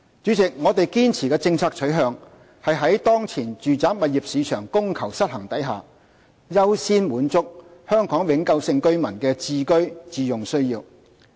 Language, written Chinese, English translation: Cantonese, 主席，我們堅持的政策取向是在當前住宅物業市場供求失衡下，優先滿足香港永久性居民的置居自用需要。, President we stick to the policy inclination to accord priority to meeting the home ownership needs of Hong Kong permanent residents given the prevailing demand - supply imbalance in the residential property market